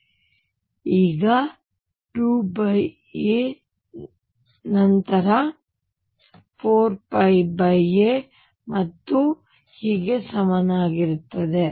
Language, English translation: Kannada, And this 2 by a is equivalent to then 4 pi by a and so on